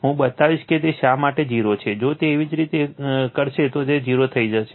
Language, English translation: Gujarati, I will show why it is 0, if you do it, it will become 0